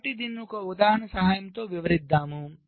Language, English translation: Telugu, so let us illustrate this with the help of an example